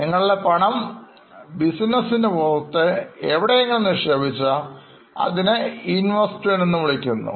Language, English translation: Malayalam, So if you put in some money outside your business it is called as an investment